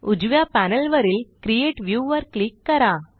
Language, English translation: Marathi, Let us click on Create View on the right panel